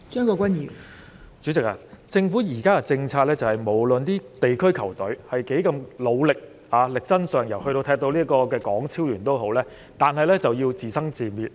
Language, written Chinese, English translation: Cantonese, 代理主席，根據政府現時的政策，無論區隊如何努力或力爭上游，即使球隊能夠參加港超聯賽事，他們仍然要自生自滅。, Deputy President under the current government policy no matter how hard district teams work or strive for the best even if the teams can participate in HKPL they still need to be self - financed